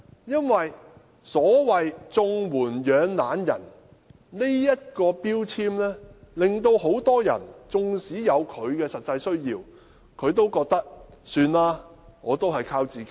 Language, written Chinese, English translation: Cantonese, 因為所謂"綜援養懶人"的標籤令很多人即使有實際需要，也寧願靠自己。, Because to avoid being labelled lazybones nurtured by CSSA many in genuine need would rather stand on their own feet